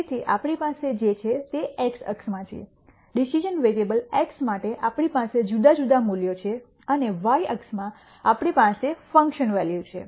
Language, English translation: Gujarati, So, what we have here is in the x axis we have di erent values for the decision variable x and in the y axis we have the function value